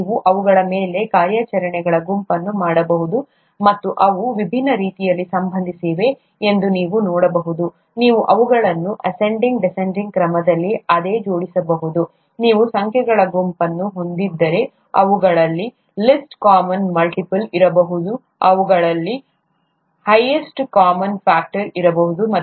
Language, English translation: Kannada, You can perform a set of operations on them, and, you can also see that they are related in different ways, you could order them in an ascending descending order, if you have a set of numbers, there could be a least common multiple among them, there could be a highest common factor among them and so on